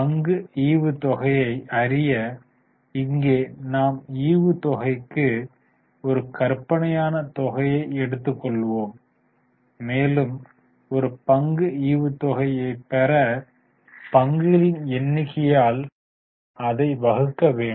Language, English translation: Tamil, Dividend per share, here we have just taken one hypothetical amount for dividend and we will divide it by number of shares